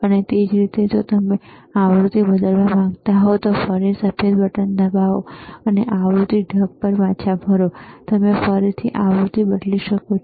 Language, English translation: Gujarati, And same way if you want to change the frequency, again press the white button, and you are back to the frequency mode, again you can change the frequency, excellent